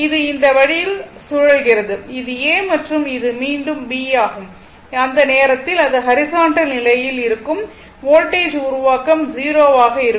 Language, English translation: Tamil, It is revolving this way, this is A and this is B again, it will horizontal position at that time voltage generation will be 0